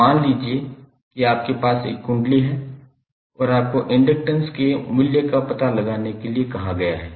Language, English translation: Hindi, So, suppose if you have a coil like this and you are asked to find out the value of inductance